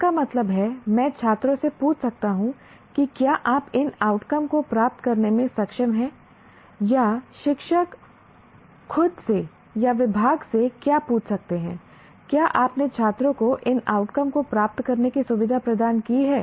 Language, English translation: Hindi, That means, I can ask the students, have you been able to achieve these outcomes or a teacher can ask himself or herself or the department can ask, have you facilitated the students to achieve these outcomes